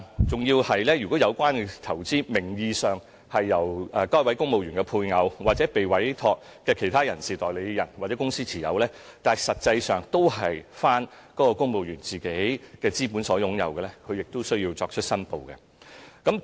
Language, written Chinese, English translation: Cantonese, 此外，如果有關投資名義上由公務員配偶或受委託的其他代理人或公司持有，但實際上由公務員以自己資本擁有的話，他亦需要申報。, Moreover declarations are also required if civil servants actually have beneficial interests in investments held in the name of their spouse or other trusted agents or companies